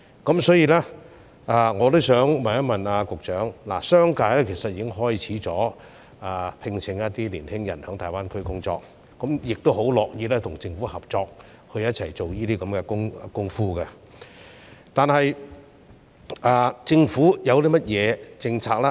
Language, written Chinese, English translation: Cantonese, 就此，我想問局長，商界其實已開始聘請青年人在大灣區工作，亦十分樂意跟政府合作，共同推廣有關工作，但政府有甚麼政策呢？, In this connection the business sector has started recruiting young people to work in GBA and we are more than willing to cooperate with the Government to promote the relevant work together . May I ask the Secretary about the policy the Government will adopt?